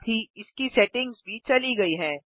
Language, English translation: Hindi, Its settings are gone as well